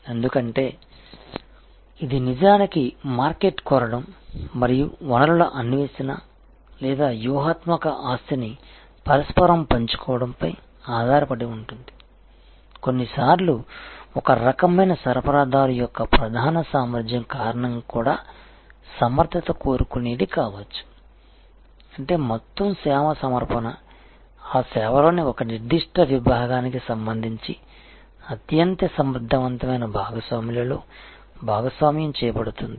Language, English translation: Telugu, Because, and that is actually alliance based on market seeking and resource seeking or mutual sharing of strategic asset, sometimes due to core competence of one type of supplier there can be also efficiency seeking; that means, the whole service offering will be shared among the most efficient partners with respect to one particular section of that service